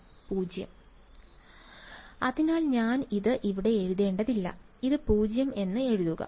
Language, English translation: Malayalam, 0 right; so I should not write this over here write it 0 ok